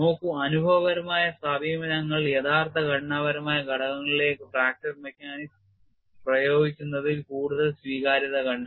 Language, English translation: Malayalam, See the empirical approaches have found rated acceptance in applying fracture mechanics to actual structure components